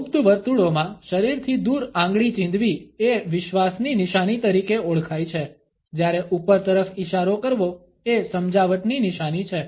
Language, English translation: Gujarati, Pointing the finger away from the body is known in occult circles as the sign of faith, while pointing upwards is the sign of persuasion